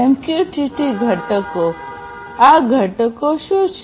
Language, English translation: Gujarati, MQTT components: what are these components